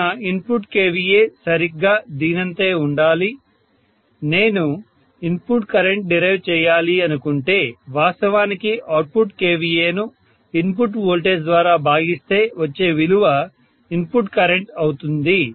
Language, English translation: Telugu, So input kVA has to be an exactly same as this, so I should say input current if I have to derive, input current has to be actually whatever is the output kVA divided by input voltage because I am assuming input kVA equal to output kVA, right